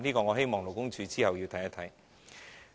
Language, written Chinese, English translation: Cantonese, 我希望勞工處稍後要跟進。, I wish the Labour Department will follow up the matter in due course